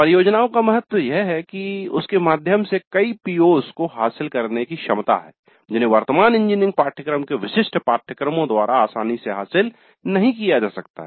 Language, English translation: Hindi, The importance of projects is that they have the potential to address many POs which cannot be addressed all that easily by typical courses of present day engineering curricula